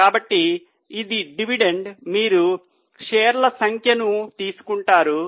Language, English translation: Telugu, So it is dividend upon, will you take number of shares